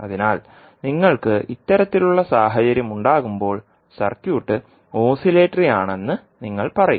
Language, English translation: Malayalam, So when you have this kind of situation then you will say that the circuit is oscillatory